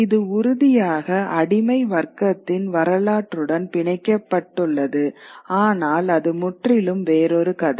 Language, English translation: Tamil, And of course, it's also tied to the history of slave trade, but that's another story altogether